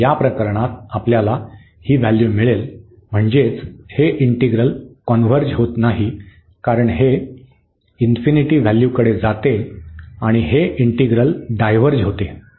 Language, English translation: Marathi, So, in this case we will we get this value I mean this integral does not converge because, this is converging to going to infinity the value and this integral diverges